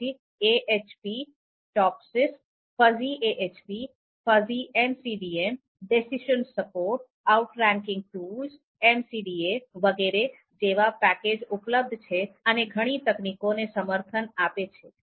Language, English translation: Gujarati, Then there is a package on AHP, Topsis, FuzzyAHP, FuzzyMCDM, then there is another package decisionSupport, Outranking Tools, MCDA